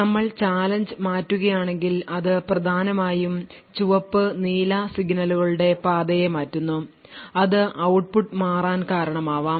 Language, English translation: Malayalam, So note that if we change the challenge, it essentially changes the path for the red and blue signals and as a result output may change